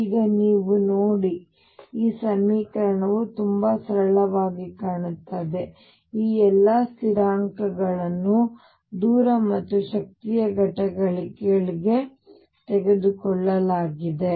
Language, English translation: Kannada, Now you see this equation looks very simple all these constants have been taken into the units of distance and energy